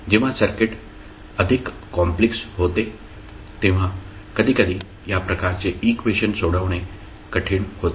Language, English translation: Marathi, Sometimes these types of equations are difficult to solve when the circuit is more complex